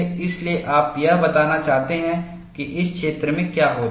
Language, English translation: Hindi, So, you want to preclude what happens in this region